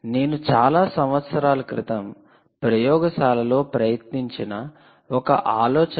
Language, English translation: Telugu, what i am going to do is i am going to show you a nice idea which i tried in the lab many years ago, and just for fun